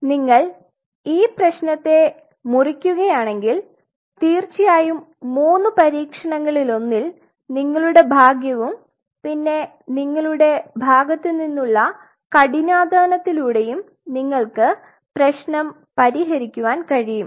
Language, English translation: Malayalam, So, if you break up the problem right then in one of the three experiment of course, your luck has to even your side and your hard work also you will be able to achieve the problem